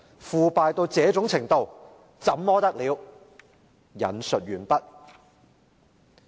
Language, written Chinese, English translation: Cantonese, 腐敗到這種程度，怎麼得了！, Corruption to such an extent is simply awful!